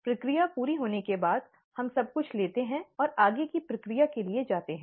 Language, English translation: Hindi, After the process is complete, we take everything and and go for further processing